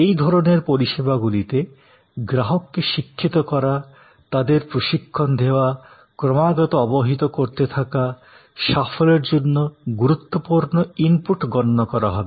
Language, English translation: Bengali, In these types of services, educating the customer, training the customer, keeping the customer informed will be an important to input for success